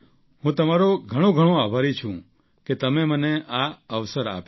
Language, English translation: Gujarati, I am very grateful to you for giving me this opportunity